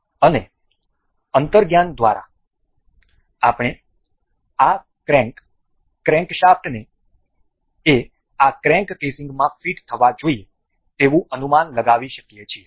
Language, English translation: Gujarati, And by intuition we can guess this crank crankshaft is supposed to be fit into this crank casing